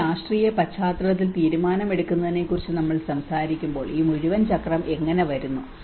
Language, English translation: Malayalam, So when we talk about the decision making in a political context, how this whole cycle comes